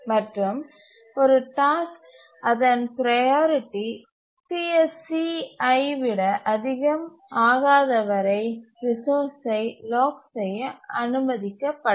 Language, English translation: Tamil, And the task is not allowed to lock a resource unless its priority becomes greater than CSC